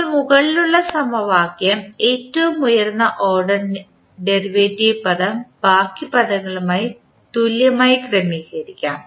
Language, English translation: Malayalam, Now, let us arrange the above equation by equating the highest order derivative term to the rest of the terms